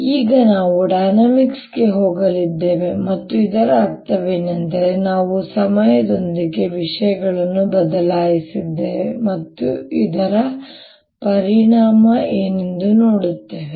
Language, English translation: Kannada, now we are going to go into dynamics and what that means is we are going to change things with time and see what is the effect of this